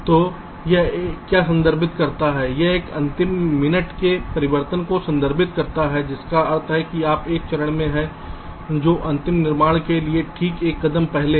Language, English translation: Hindi, so what it refers is that this refers to a last minute changes that mean you are in a step which is just one step before the final fabrication